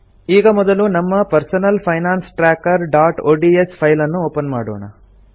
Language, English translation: Kannada, Let us open our Personal Finance Tracker.ods file first